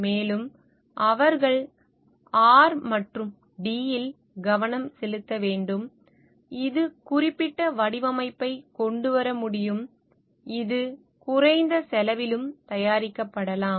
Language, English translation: Tamil, And they should like we focus in R and D, which can bring in certain design, which can be produced at a lower cost also